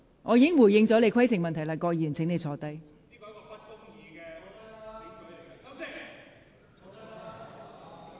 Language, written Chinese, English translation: Cantonese, 我已回答你的規程問題，請你坐下。, I have answered your point of order . Please sit down